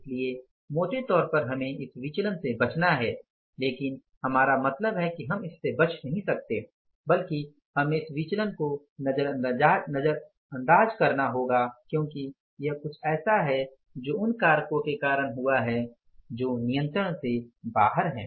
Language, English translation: Hindi, So, largely we have to avoid this variance but we means not avoid but we have to ignore this variance because this is something which has happened because of the factors which are out of control